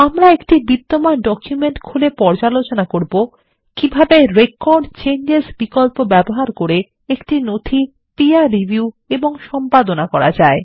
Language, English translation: Bengali, We will open an existing document to explain how to peer review and edit a document using Record Changes option